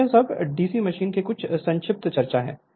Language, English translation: Hindi, So, next is these are all some brief discussion of the DC machine